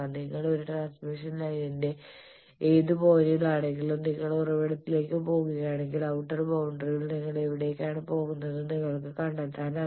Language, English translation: Malayalam, From any point if you are in a transmission line you are going to source you can find out where you are going in the outer boundary